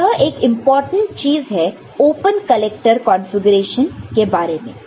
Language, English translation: Hindi, So, this is one important thing about open collector configuration